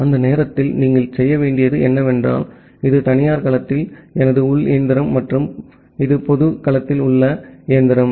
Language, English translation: Tamil, During that time, what you have to do that say, this is my internal machine in the private domain and this is the machine at the public domain